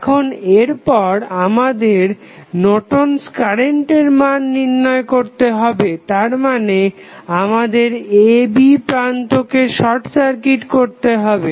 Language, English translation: Bengali, Now, next is we need to find out the value of Norton's current that means you have to short circuit the terminals A and B